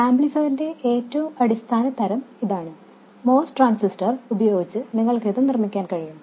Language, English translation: Malayalam, And this is the very basic type of amplifier you can build with a MOS transtasy